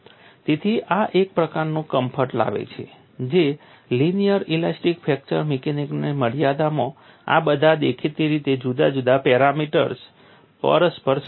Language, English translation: Gujarati, So, this brings in a set of comfort that within the confines of linear elastic fracture mechanics, all these seemingly different parameters or interrelated